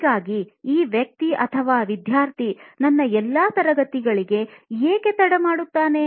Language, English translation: Kannada, So why was this guy student late to all my classes